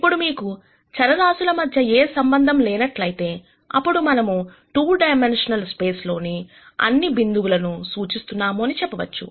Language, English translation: Telugu, Now, if you have no relationships between these variables, then we would say that we are representing all the points in the 2 dimensional space